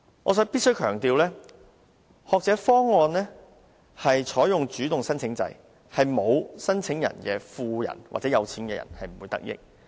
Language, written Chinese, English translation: Cantonese, 我必須強調，學者方案採用主動申請制，沒有申請的富人是不會得益。, I must stress that the Scholar Proposal adopts the approach of spontaneous application . Rich people who do not apply for it will not benefit from it